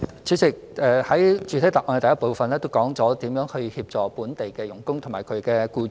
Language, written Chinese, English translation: Cantonese, 主席，我在主體答覆第一部分亦已說明，如何協助在港外傭及其僱主。, President I have explained in part 1 of the main reply the ways to assist FDHs in Hong Kong and their employers